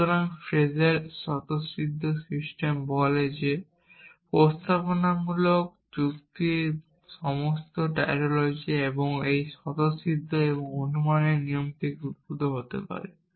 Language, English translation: Bengali, So, Frege’s axiomatic system says that all tautologies of propositional logic can be derived from this set of axioms and this rule of inference